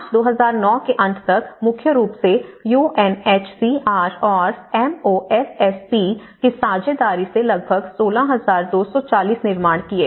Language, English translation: Hindi, So, by the end of March 2009, it is about 16, 240 were built and mainly with the partnership of UNHCR and MoSSP